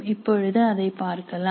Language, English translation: Tamil, We look at that presently